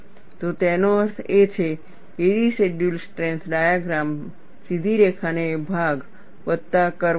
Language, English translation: Gujarati, So, that means, the residual strength diagram, will have a straight line portion plus a curve